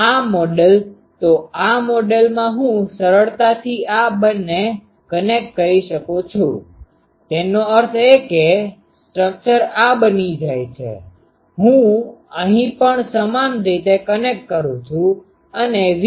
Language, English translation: Gujarati, This model, so this model I can easily connect these two so; that means, the structure becomes this I do connect here similarly and V